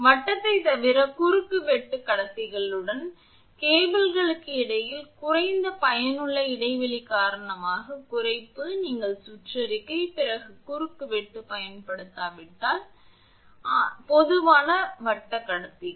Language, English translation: Tamil, Reduction due to the lower effective spacing between cables with conductors of cross section other than circular; if you do not use circular, other cross section then it will be there, but generally circular conductors